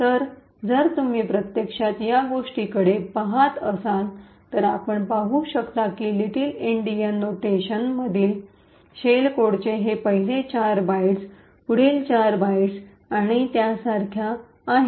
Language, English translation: Marathi, So, if you actually look at this, we see that this are the first four bytes of the shell code in the little Endian notation next four bytes and so on